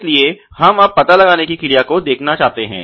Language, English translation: Hindi, So, we want to now look at the detectability